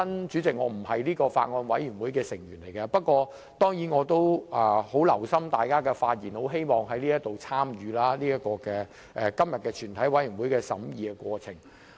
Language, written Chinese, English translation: Cantonese, 主席，我並非相關法案委員會的委員，但我也很留心聽大家的發言，很希望參與今天全體委員會的審議過程。, Chairman I am not a member of the relevant Bills Committee but eager to take part in the scrutiny in the committee of the whole Council today I have listened attentively to Members speeches